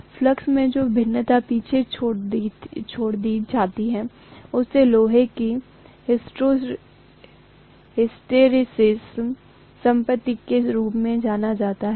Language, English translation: Hindi, The variation in the flux is left behind which is known as the hysteresis property of the iron